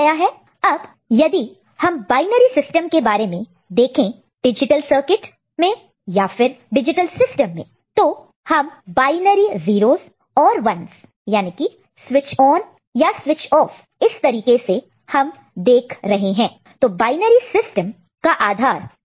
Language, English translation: Hindi, So, if we talk about binary system in the digital circuit, digital system you are talking about binary 0s and 1s switched on or switched off this is the way we are looking at it, so a binary system base is 2 ok